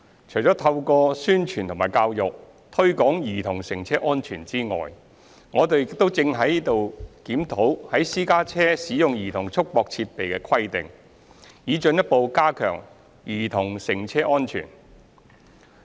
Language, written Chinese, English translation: Cantonese, 除了透過宣傳和教育推廣兒童乘車安全之外，我們亦正在檢討在私家車使用兒童束縛設備的規定，以進一步加強兒童乘車的安全。, Apart from conducting publicity and education campaigns to promote child safety in cars we are also reviewing the requirements on the use of child restraint device CRD in private cars so as to further enhance child safety in cars